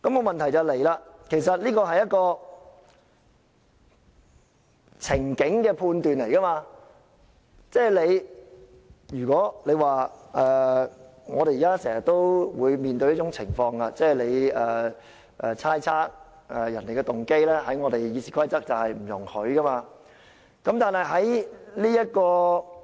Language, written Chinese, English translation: Cantonese, 問題是，這是一個情境的判斷，即是我們現時經常面對一種情況，我們要猜測別人的動機，但《議事規則》是不容許這樣做的。, The problem is that this is judgmental a situation we often run into nowadays in which we have to speculate on another persons motive . But the Rules of Procedure does not allow us to do so